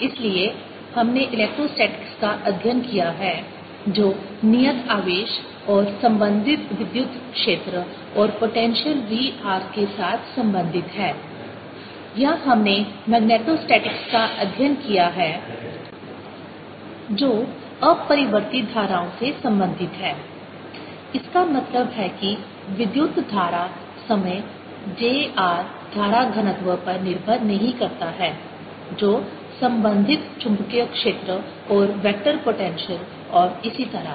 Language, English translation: Hindi, so we've dealt with electrostatics, which concerned itself with fixed charges and corresponding electric field and the potential v, r, or we dealt with magnetostatics, which dealt with steady currents news that means the current did not depend on time, j, r, current, density, the corresponding magnetic field and the vector potentials and so on